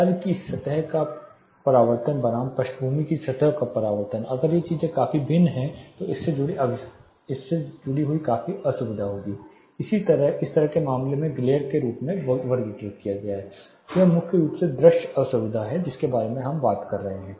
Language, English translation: Hindi, Reflectance of the task surface versus reflectance of the backgrounds surface, if these things are drastically different when the threshold this crust there will be a discomfort associated this also you know kind of classified as glare in this case it is primarily visual discomfort we are talking about